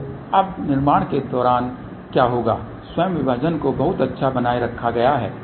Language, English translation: Hindi, So, now, what will happen during the fabrication itself the separation has been maintain very good